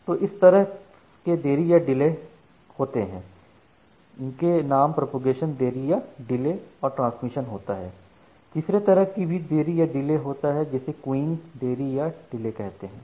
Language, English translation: Hindi, So, these are the two different delay components that we have: the Propagation Delay and the Transmission Delay and there is a third delay component which we call as the Queuing Delay